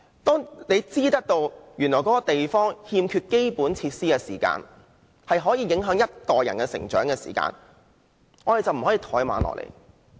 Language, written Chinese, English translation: Cantonese, 當知道一個地區如欠缺基本設施，是會對某一代人的成長構成影響，我們便不能怠慢。, If we know that the lack of basic facilities in a district will affect the development of a generation we cannot take the matter lightly